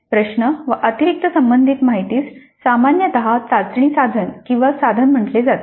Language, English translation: Marathi, Questions plus additional related information is generally called as a test item or item